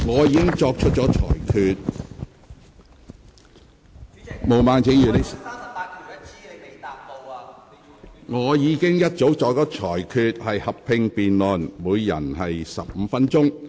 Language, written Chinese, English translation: Cantonese, 本會會就修改《議事規則》的議案進行合併辯論，每位議員可發言15分鐘。, This Council will have a joint debate on the motions to amend RoP and each Member may speak for 15 minutes